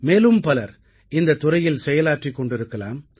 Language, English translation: Tamil, Many more such people must be working in this field